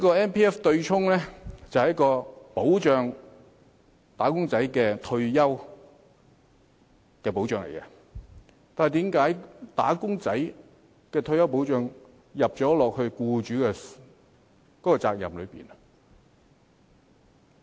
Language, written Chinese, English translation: Cantonese, MPF 的對沖安排旨在為"打工仔"提供退休保障，但為何"打工仔"的退休保障要由僱主負責？, Given that the objective of the MPF offsetting arrangements is to provide retirement protection to wage earners why should employers be responsible to provide retirement protection to wage earners?